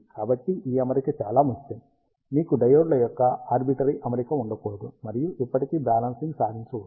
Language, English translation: Telugu, So, this arrangement is very important, ah you cannot have any arbitrary arrangement of diodes, and still achieve balancing